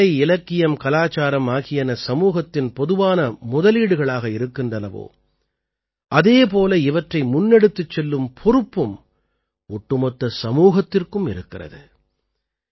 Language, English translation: Tamil, Just as art, literature and culture are the collective capital of the society, in the same way, it is the responsibility of the whole society to take them forward